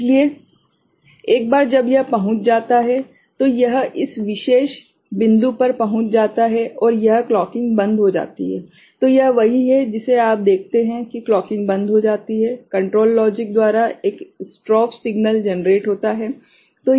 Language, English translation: Hindi, So, once you know it reached, it reaches this particular point and this clocking gets stopped right; so, this is what you see the clocking gets stopped, a strobe signal is generated by the control logic ok